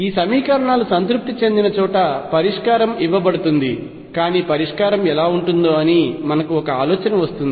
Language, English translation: Telugu, Then the solution is given by wherever these equations is satisfied, but let us get an idea as to what solution would look like